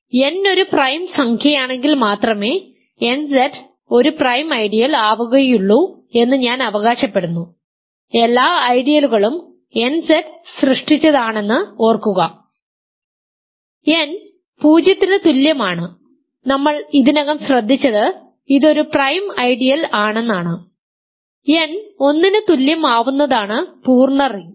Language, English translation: Malayalam, So, I claim that nZ is a prime ideal if and only if n is a prime number, remember every ideal is generated by nZ, n equal to 0 we have already taken care of, it is a prime ideal, n equal to 1 is the full ring